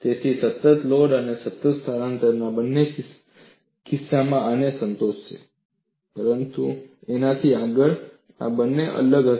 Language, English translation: Gujarati, So, both the cases of constant load and constant displacement would satisfy this, but beyond this, these two will be different